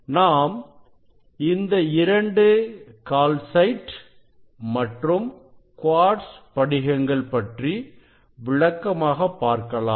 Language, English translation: Tamil, these two crystal for these calcite crystal and the quartz crystal